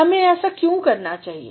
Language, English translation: Hindi, Why should we do that